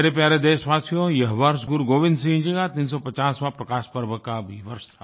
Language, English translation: Hindi, My dear countrymen, this year was also the 350th 'Prakash Parv' of Guru Gobind Singh ji